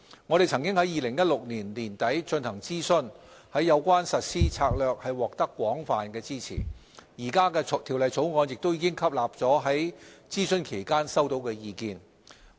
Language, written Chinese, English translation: Cantonese, 我們曾在2016年年底進行諮詢，有關實施策略獲得廣泛支持，現時的《條例草案》亦已吸納了在諮詢期間內收到的意見。, A consultation exercise we conducted in late 2016 revealed broad support for our proposed implementation strategy . The feedback received during the consultation period has already been incorporated into the Bill